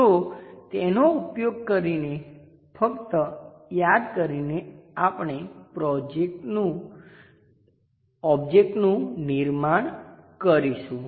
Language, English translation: Gujarati, So, just recall that using that we will construct the object